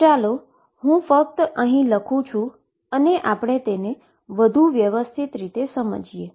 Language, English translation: Gujarati, So, let me just write it and then we will explore it further